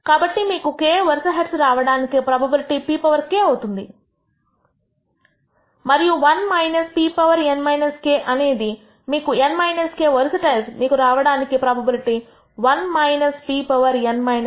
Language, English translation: Telugu, So, p power k is the probability that you will get k successive heads and 1 minus p power n minus k would represents the probability that you will get n minus k successive tails